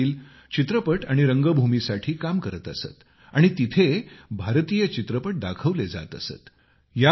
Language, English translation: Marathi, His father worked in a cinema theatre where Indian films were also exhibited